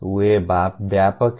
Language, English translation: Hindi, There are many